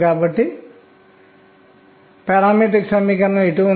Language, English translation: Telugu, So, this becomes the fundamental principle